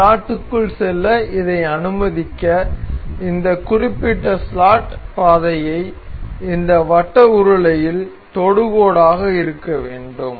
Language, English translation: Tamil, So, in order to make allow this to move into this slot this particular slot path is supposed to be tangent on this circular cylinder